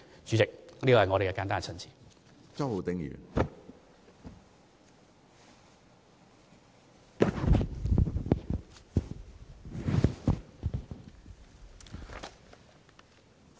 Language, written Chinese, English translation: Cantonese, 主席，這是我的簡單陳辭。, President this is my brief response